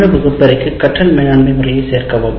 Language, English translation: Tamil, Now to the electronic classroom you add another one a learning management system